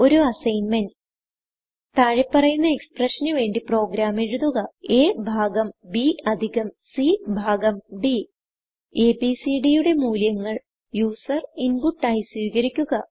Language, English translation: Malayalam, As an assignment: Write a program to solve the following expression, a divided by b plus c divided by d The values of a, b, c and d are taken as input from the user